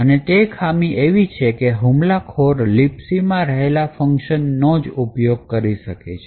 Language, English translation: Gujarati, The limitation is that the attacker is constraint by the functions that the LibC offers